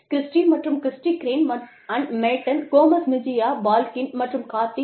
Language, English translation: Tamil, Christy & Christy, Crane & Matten, and Gomez Mejia & Balkin & Cardy